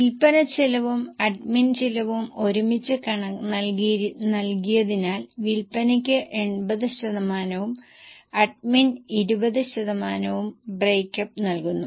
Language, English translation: Malayalam, Since the cost of selling and admin is given together, breakup is given for selling 80% and admin 20%